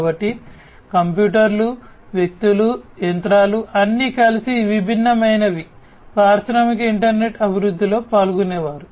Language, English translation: Telugu, So, internet of things computers, people, machines all together are different participate participants in the development of the industrial internet